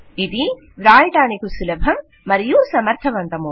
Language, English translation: Telugu, It is easier to write and much more efficient